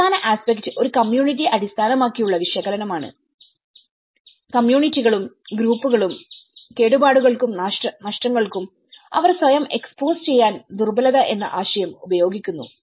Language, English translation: Malayalam, The last aspect is a community based analysis here, the communities and the groups appropriate the concept of vulnerability to inquire their own expose to damage and loss